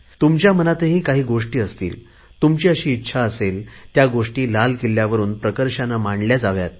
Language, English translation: Marathi, You too must be having certain thoughts that you wish were proclaimed from Red Fort